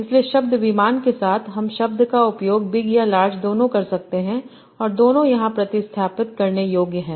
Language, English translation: Hindi, So with the word plane, I can use the word either big or large, and both are substitutable here